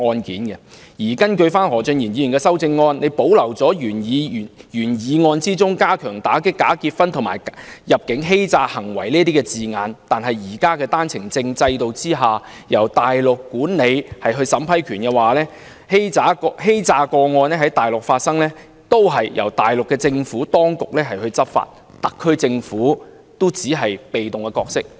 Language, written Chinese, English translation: Cantonese, 然而，根據何俊賢議員的修正案，他保留了原議案中加強打擊跨境假結婚及入境欺詐行為的字眼，但單程證制度現時由大陸管理審批權，欺詐個案若在大陸發生也會由大陸政府當局執法，特區政府只能擔當被動的角色。, However according to the amendment proposed by Mr Steven HO the proposals of stepping up efforts in combating cross - boundary bogus marriages and against immigration frauds in the original motion are retained but under the OWP application system applications are now vetted and approved by the Mainland authorities . Hence immigration frauds committed on the Mainland will also be handled by the Mainland authorities and the SAR Government will only have a passive role to play